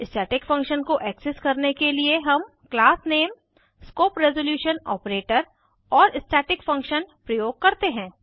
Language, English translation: Hindi, To access a static variable we write as: datatype classname scope resolution operator and static variable name